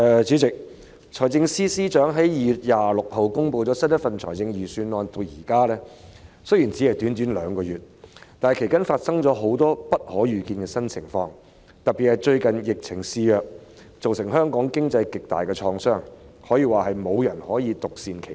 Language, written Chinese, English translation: Cantonese, 主席，財政司司長在2月26日公布新一份財政預算案至今，雖然只是短短兩個月，但其間卻發生了很多不可預見的新情況，特別是最近疫情肆虐，對香港經濟造成極大創傷，可以說無人能夠獨善其身。, President although merely two months have passed since the Financial Secretary announced a new Budget on 26 February quite a number of unforeseeable new circumstances arise in the interim . In particular the recent outbreak of the epidemic has badly hurt the Hong Kong economy and virtually no one can be spared